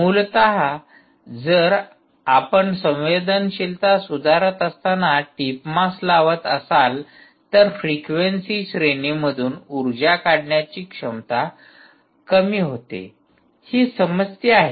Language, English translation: Marathi, essentially, if you put a tip mass, while sensitivity improves, its ability to extract energy across a range of frequencies reduces